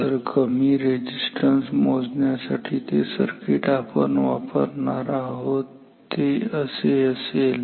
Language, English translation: Marathi, So, the circuit we should use to measure a low resistance is this